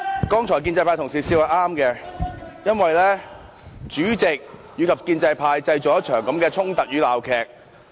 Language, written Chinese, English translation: Cantonese, 剛才建制派同事笑是正確的，因為主席及建制派製造出這場衝突與鬧劇。, It is right for Honourable colleagues from the pro - establishment camp to laugh just now because the President and the pro - establishment camp are responsible for these conflicts and farce